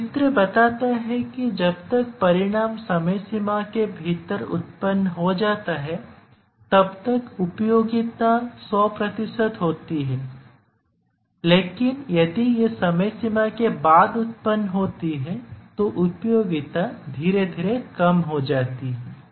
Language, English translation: Hindi, So, as this diagram shows that as long as the result is produced within the deadline, the utility is 100 percent, but if it s produced after the deadline then the utility gradually reduces